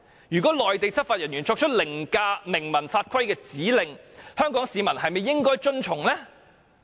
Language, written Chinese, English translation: Cantonese, 如果內地執法人員作出凌駕明文法規的指令，香港市民是否應該遵從呢？, If a Mainland law enforcement agent performs any act above written laws by ordering a Hong Kong resident to do something should the Hong Kong resident follow the order?